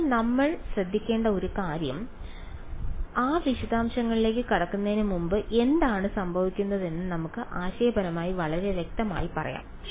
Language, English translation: Malayalam, So, that something that we have to be careful about, but before we get into those details is let us be conceptually very clear what is happening